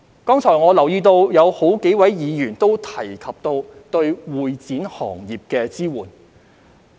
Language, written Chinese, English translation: Cantonese, 剛才我留意到有數位議員亦提及對會展行業的支援。, Just now I have noted that several Members also mentioned support for the convention and exhibition industry